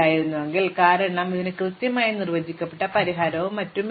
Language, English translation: Malayalam, If did not have a positive weight viewer in trouble, because this is did not have a well defined solution and so on